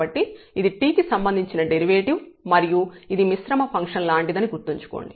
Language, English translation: Telugu, So, this is derivative with respect to t and remember this is like composite function